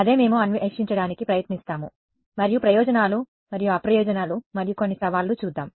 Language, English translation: Telugu, That is what we will try to explore and we will see what are the advantages and disadvantages and some of the challenges ok